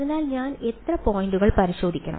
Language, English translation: Malayalam, So, how many points should I tested